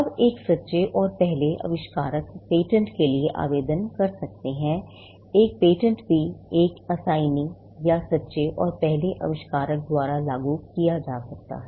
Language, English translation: Hindi, Now, a true and first inventor can apply for a patent; a patent can also be applied by an assignee or of the true and first inventor